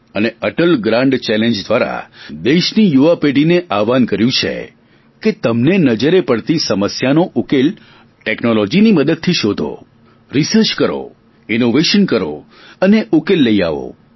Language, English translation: Gujarati, Through the 'Atal Grand Challenges' we have exhorted the young generation of the country that if they see problems, they should search for solutions taking the path of technology, doing research, applying innovations and bring those on board